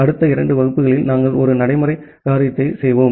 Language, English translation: Tamil, In the next couple of classes, we will do a practical thing